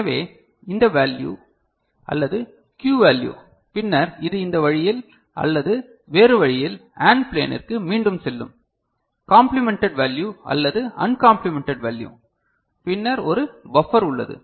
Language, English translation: Tamil, So, either this value or the Q value right and this then it can go back to the AND plane in this manner or the other manner right, the complemented value or the other value and then there is a buffer